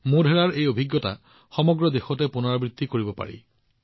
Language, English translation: Assamese, Modhera's experience can be replicated across the country